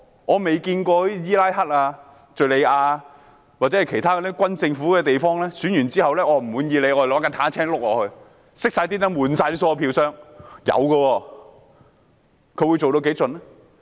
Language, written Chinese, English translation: Cantonese, 我曾看見伊拉克、敘利亞或其他軍政府的地方在選舉後，人們若不滿意結果，便會駕駛坦克輾過去。, I have seen that after an election in Iraq Syria or other places under junta rule if the people were dissatisfied with the outcome they would drive tanks to roll over the facilities